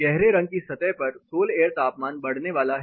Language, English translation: Hindi, At dark color surface then the sol air temperature is going to go up